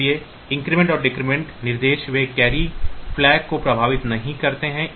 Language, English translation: Hindi, So, the increment and decrement instructions they do not affect the carry flag